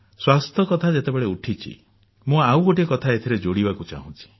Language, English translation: Odia, While we are on the subject of health, I would like to talk about one more issue